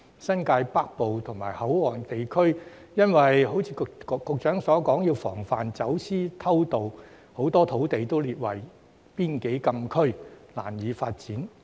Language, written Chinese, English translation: Cantonese, 新界北部及口岸地區，正如局長所說要防範走私偷渡，很多土地都列為邊境禁區，難以發展。, As for the northern New Territories and the port areas they were hard to develop because just as the Secretary said a lot of land there had been designated as frontier closed area to guard against smuggling and illegal entry